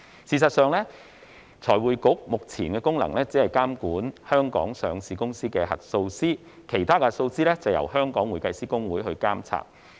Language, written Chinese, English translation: Cantonese, 事實上，財匯局目前的功能只是監管香港上市公司的核數師，其他核數師則由香港會計師公會監察。, As a matter of fact the present function of FRC is simply to exercise regulation over the auditors of Hong Kong listed companies while other auditors are monitored by the Hong Kong Institute of Certified Public Accountants HKICPA